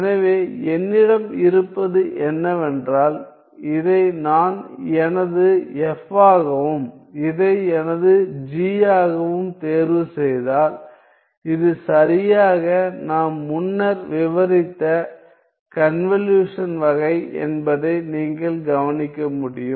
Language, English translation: Tamil, So, what I have is that if I were to choose this as my f and this as my g you can notice that this is exactly of the convolution type that we have described earlier